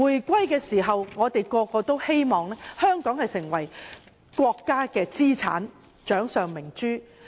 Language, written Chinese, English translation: Cantonese, 大家在香港回歸時都希望香港成為國家的資產或掌上明珠。, Upon the reunification of Hong Kong we hope Hong Kong would become the asset of or the apple of the eye of the country